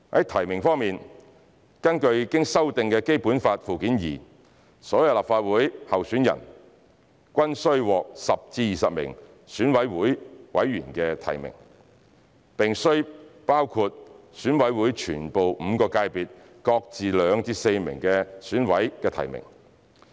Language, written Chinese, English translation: Cantonese, 提名方面，根據經修訂的《基本法》附件二，所有立法會候選人均須獲10至20名選委會委員提名，並須包括選委會全部5個界別各自2至4名選委的提名。, In terms of nomination according to the amended Annex II to the Basic Law candidates for members of the Legislative Council returned by EC shall be nominated by at least 10 but no more than 20 members of EC with at least two but no more than four members from each of the five sectors